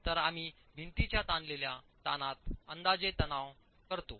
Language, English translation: Marathi, So we approximate the stress in the stretches of the wall